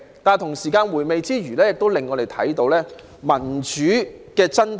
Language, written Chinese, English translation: Cantonese, 不過，在回味之餘，我們亦看到民主的真締。, But while relishing this process we can also discern the true essence of democracy